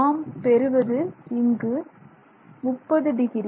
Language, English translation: Tamil, So, this is 30 degrees